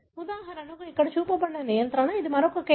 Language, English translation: Telugu, For example, what is shown here is control, the other one is case